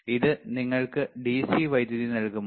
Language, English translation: Malayalam, Can it give you DC power supply